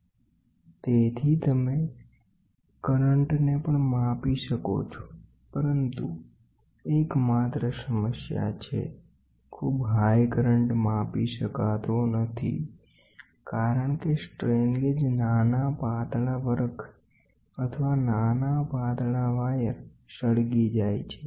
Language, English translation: Gujarati, So, you we can also measure current, but the only problem is current, very high currents very high currents I cannot be measured because the strain gauge, the small thin foil or small thin wire will get burnt